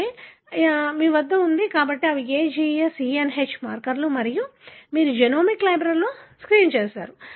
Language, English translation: Telugu, So, you have done that, you have, so these are the markers A G S E N H and you have done a screening in the genomic library